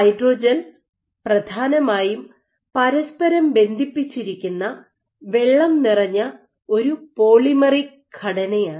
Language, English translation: Malayalam, So, hydrogel is essentially a water swollen polymeric structure cross linked together